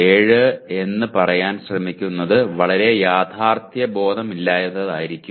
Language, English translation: Malayalam, 7 will be very unrealistic